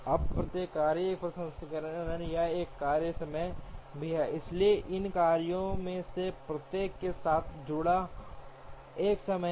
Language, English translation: Hindi, Now, each task also has a processing or a task time, so there is a time associated with each of these tasks